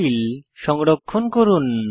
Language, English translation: Bengali, Save your file